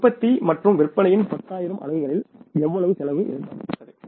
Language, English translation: Tamil, At 10,000 units of production and sales how much cost was expected